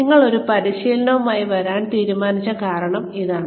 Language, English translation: Malayalam, See, the reason, we decide to come up with a training, is this